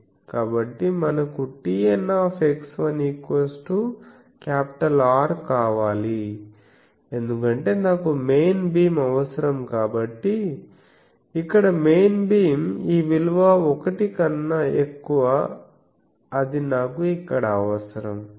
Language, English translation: Telugu, So, we require T N x 1 is equal to R because it is in the I require the main beam so, where the main beam this value is more than 1 so, I require it here